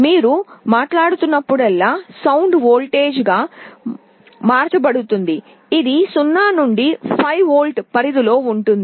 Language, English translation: Telugu, Whenever you are speaking sound is being converted into a voltage, which is in the 0 to 5 volts range